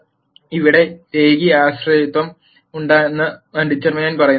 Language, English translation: Malayalam, So, determinant also says there is linear dependence here